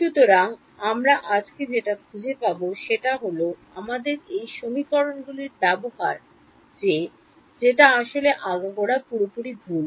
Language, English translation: Bengali, So, what we will find out today is that our use of this equation is actually been very very fraud throughout